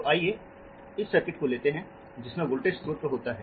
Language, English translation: Hindi, okay, so let me so take this circuit which has a current control voltage source again